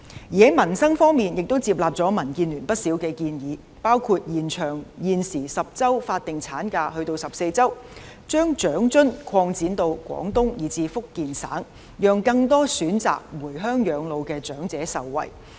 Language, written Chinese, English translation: Cantonese, 在民生方面亦接納了民建聯不少建議，包括延長現時10周法定產假至14周；把長者生活津貼擴展至廣東及福建省，讓更多選擇回鄉養老的長者受惠。, In peoples livelihood issues many proposals from DAB have been accepted including extension of the statutory maternity leave from the current 10 weeks to 14 weeks; extension of the coverage of the Old Age Living Allowance to the two provinces of Guangdong and Fujian which will benefit more elderly persons who choose to reside in their hometowns